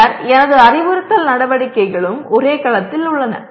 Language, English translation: Tamil, And then my instructional activities also are in the same cell